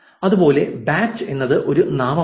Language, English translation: Malayalam, Similarly, batch is a noun